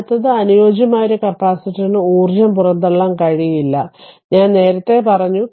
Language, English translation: Malayalam, And next one is an ideal capacitor cannot dissipate energy, I told you earlier right